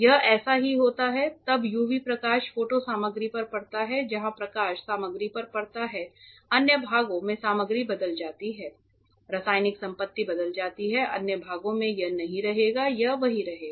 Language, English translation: Hindi, It is just like that then UV light falls on the photo material some part where the light falls on the material gets developed other parts material gets changed chemical property changes, other parts it will not it will remain same